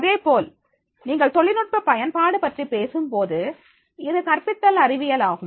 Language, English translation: Tamil, Similarly, then when you talking about the use of technology, so it is a science of teaching